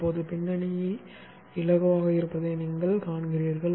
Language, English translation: Tamil, Now you see the background is light